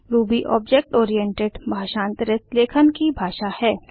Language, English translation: Hindi, Ruby is an object oriented, interpreted scripting language